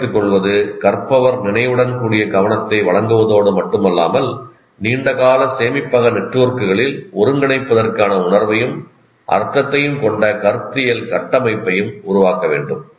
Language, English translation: Tamil, So, retention requires that the learner not only give conscious attention, but also build conceptual frameworks that have sense and meaning for eventual consolidation into the long term storage networks